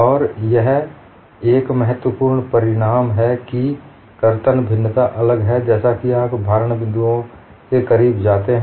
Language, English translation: Hindi, And one of the significant result, there is shear variation is different, as you go close to the points of loading